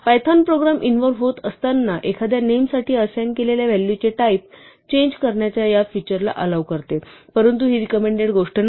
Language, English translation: Marathi, Now although python allows this feature of changing the type of value assigned to a name as the program evolves, this is not something that is recommended